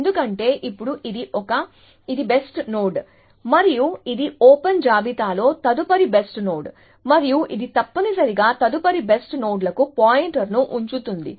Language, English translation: Telugu, Because, now that is a, to this, this is the best node and this is the next best node in the open list, and it keeps a pointer to the next best nodes essentially